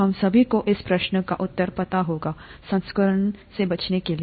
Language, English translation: Hindi, All of us would know the answer to this question – to avoid infection